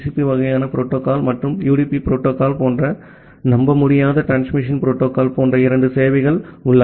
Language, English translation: Tamil, And accordingly we have two services like a reliable transmission protocol or TCP kind of protocol and the unreliable transmission protocol like a which is UDP protocol